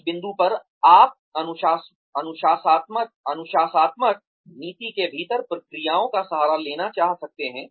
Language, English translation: Hindi, At that point, you might want to resort to procedures, within the disciplinary policy